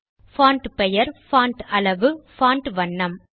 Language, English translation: Tamil, Font name,Font size, Font color in writer